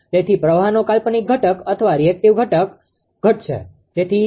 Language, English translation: Gujarati, So, your imaginary component of the current or reactive component of the current will decrease